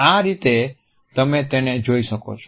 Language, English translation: Gujarati, That is how you can see it